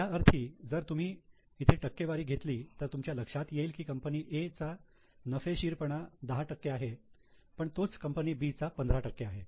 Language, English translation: Marathi, That means if you just take a percentage, here you will realize that profitability of A is 10% while profitability of B is 15%